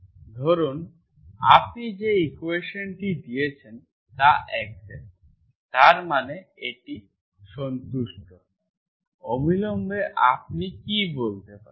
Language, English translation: Bengali, Suppose you have given equation is exact, that means this is satisfied, immediately what you can say